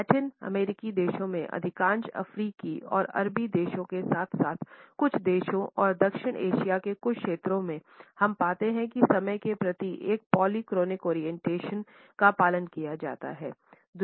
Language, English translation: Hindi, In Latin American countries, in most of the African and Arabic countries as well as in some countries and certain segments in South Asia we find that a polychronic orientation towards time is followed